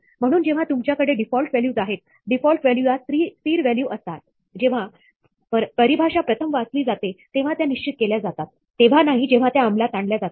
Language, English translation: Marathi, So, when you have default values, the default value has to be a static value, which can be determined when the definition is read for the first time, not when it is executed